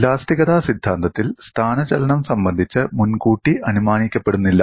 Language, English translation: Malayalam, In theory of elasticity, no prior assumption on displacement is usually imposed